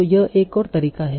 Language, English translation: Hindi, So that is one possibility